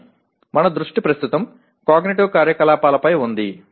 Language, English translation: Telugu, But our focus is right now on cognitive activity